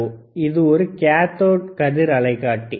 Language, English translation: Tamil, Here we are using the cathode ray tube